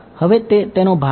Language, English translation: Gujarati, now is the part